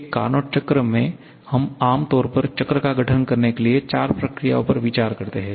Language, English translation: Hindi, In a Carnot cycle, we generally consider four processes to constitute the cycle